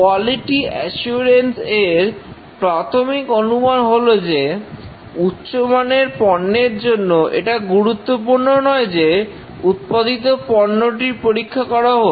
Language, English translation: Bengali, The main assumption in quality assurance is that to produce quality product, looking at the finished product and then doing testing is not that important